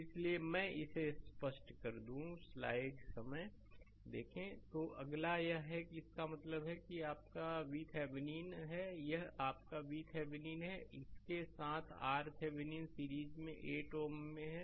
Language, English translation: Hindi, So, let me clear it So, next is this that means, this is your V Thevenin, this is your V Thevenin with that R Thevenin is there in series 8 ohm